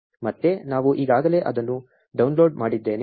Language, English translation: Kannada, Again, I have downloaded it already